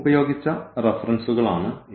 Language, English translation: Malayalam, So, these are the references used